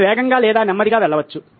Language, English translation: Telugu, She can go fast or slow